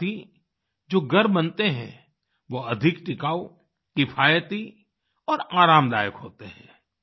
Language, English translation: Hindi, Along with that, the houses that are constructed are more durable, economical and comfortable